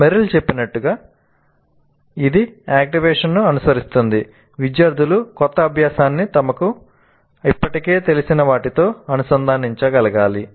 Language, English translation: Telugu, Then it is followed by the activation which as Merrill says the students must be able to link the new learning to something they already know